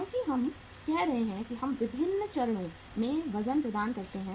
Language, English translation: Hindi, Because we are uh say providing the weights at the different stages